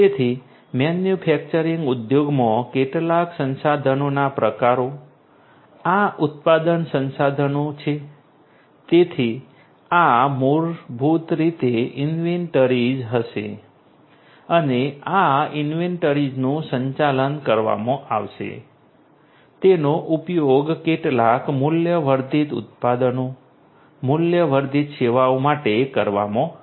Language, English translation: Gujarati, So, some resource typically in a manufacturing industry these manufacturing resources you know, so these are basically are going to be the inventories and these inventories are going to be managed they are going to be used to have some value added products, value added services